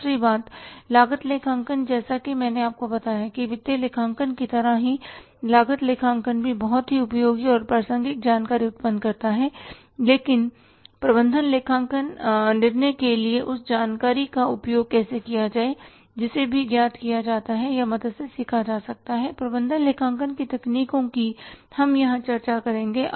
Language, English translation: Hindi, Cost accounting, second thing guys told you same thing like financial accounting cost accounting also generates very useful and relevant information but how to make use of that information for the management decision making that is also known by or can be learnt with the help of the techniques of management accounting which we will discuss here